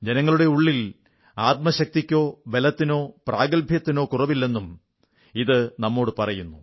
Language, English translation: Malayalam, It conveys to us that there is no dearth of inner fortitude, strength & talent within our countrymen